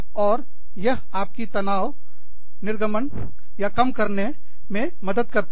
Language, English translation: Hindi, And, that helps you become, release the stress